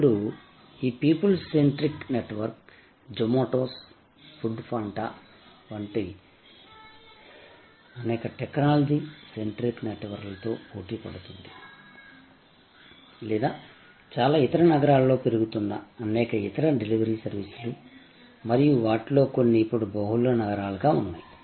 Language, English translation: Telugu, Now, this people centric network, now in competition with many technology centric networks like the Zomatos, the Food Panda and or various other delivery services that are cropping up in most cities and some of them are now multiple cities